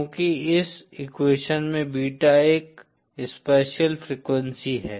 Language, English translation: Hindi, Because Beta is a spatial frequency in this equation